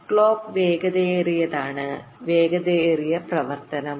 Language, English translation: Malayalam, faster the clock, faster would be the operation